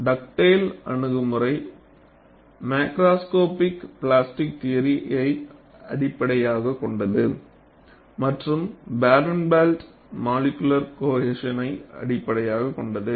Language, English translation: Tamil, Dugdale approach is based on macroscopic plasticity theory and Barenblatt is based on molecular cohesion